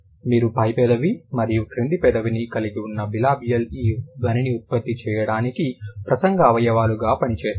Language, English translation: Telugu, Let's recall, bilibial where you have the upper lip and the low lip, these two are working as the speech organs to produce this sound